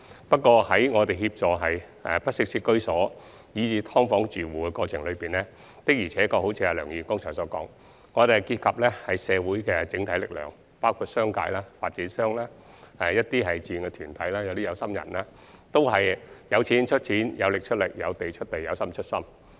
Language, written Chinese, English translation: Cantonese, 不過，在協助居於不適切居所以至"劏房"的住戶的過程中，的確有如梁議員剛才所說，需要結合社會的整體力量，包括商界、發展商、一些志願團體及有心人，他們均"有錢出錢，有力出力，有地出地，有心出心"。, However it is true that during the process of assisting households living in inadequate housing and even subdivided units there is a need to adopt the approach described by Dr LEUNG just now to form a collective force in the community by uniting various sectors like the business sector property developers certain voluntary organizations and people who care and they offer a helping hand in the form of money efforts land sites and care